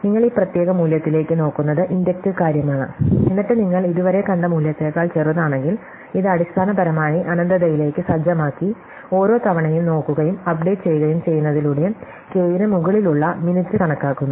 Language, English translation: Malayalam, So, you lookup this particular value which is the inductive thing and then if it is smaller than the value you have seen so far, so this is basically computing that min over k by setting into infinity and then looking and updating every time